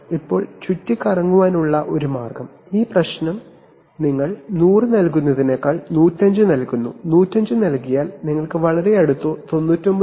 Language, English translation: Malayalam, Then one way of getting around the, this problem is that you rather than giving 100, you give 105, if you give 105, you will probably get something very, very close 99